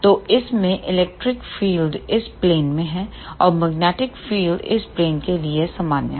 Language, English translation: Hindi, So, in this the electric field is in this plane and magnetic field is normal to this plane